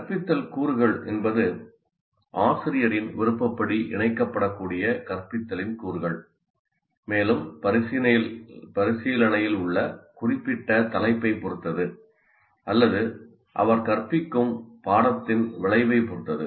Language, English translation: Tamil, And the instructional components are, you can say, elements of instruction that can be combined in the way the teacher prefers and also depending on the particular topic under consideration or the course outcome that you are instructing in